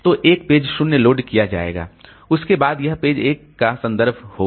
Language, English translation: Hindi, So page 0 will be replaced and page 1 will be loaded